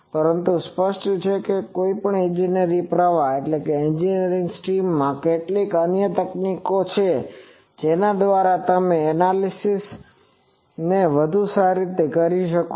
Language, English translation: Gujarati, But, obviously, in an any engineering stream there are certain other techniques by which you can perform this analysis in a much better way